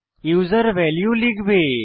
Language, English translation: Bengali, User will enter the value